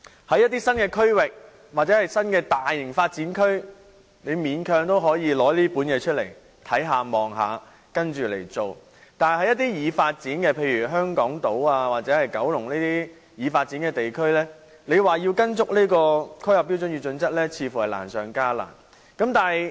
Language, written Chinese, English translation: Cantonese, 在一些新區或新的大型發展區，還可以勉強要求有關機構按《規劃標準》辦事，但在一些已發展的地區，例如香港島或九龍舊區，如果要依循《規劃標準》，似乎難上加難。, In the new areas or large - scale new development areas one can still try to require the organizations to follow HKPSG but it may be even more difficult to do so in some developed districts such as Hong Kong Island and the old districts in Kowloon